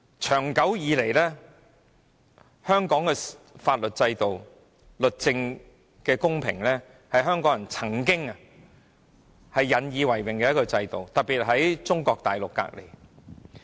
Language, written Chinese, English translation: Cantonese, 長久以來，香港的法律制度、司法公平，是香港人曾經引以為榮的特質，特別是當我們位處中國的毗鄰。, For a long time Hong Kong people have been proud of our legal system and judicial impartiality especially when Hong Kong is a neighbouring city of Mainland China